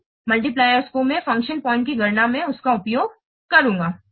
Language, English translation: Hindi, Those multipliers, I will use them in this calculation of function points